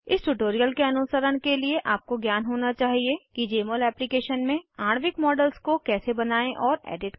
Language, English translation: Hindi, To follow this tutorial, you should know how to create and edit molecular models in Jmol Application